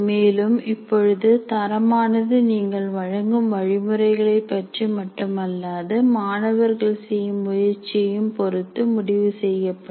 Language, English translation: Tamil, And now the grades and marks are also are decided by not only your instruction, by the effort put in by the student